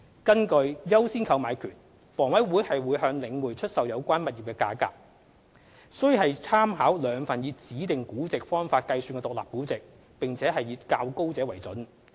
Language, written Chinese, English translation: Cantonese, 根據"優先購買權"，房委會向領匯出售有關物業的價格，須參考兩份以指定估值方法計算的獨立估值，並以較高者為準。, Under the right of first refusal the price at which HA would offer the properties to The Link is the higher of two independent valuations calculated by specific valuation methods